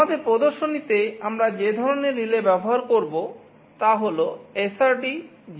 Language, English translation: Bengali, The type of relay that we shall be using in our demonstration is SRD 05DC SL C